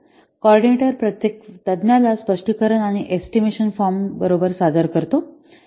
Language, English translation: Marathi, The coordinator presents each expert with a specification and an estimation form